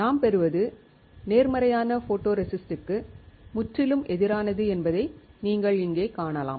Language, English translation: Tamil, You can see here that what we are getting is absolutely opposite of the positive photoresist